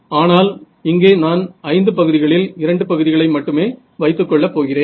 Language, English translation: Tamil, But here I am taking only out of these 5 terms I am only keeping 2 terms